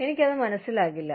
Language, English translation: Malayalam, I will not understand it